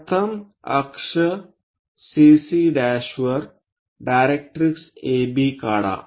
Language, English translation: Marathi, First, draw directrix AB on axis CC prime